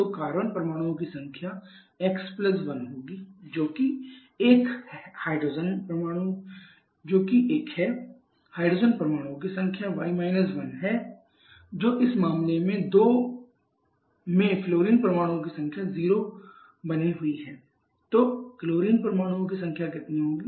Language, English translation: Hindi, So, number of carbons will be x + 1 that is 1 number of hydrogen is y 1 that remains 0 number of flourine in this case is 2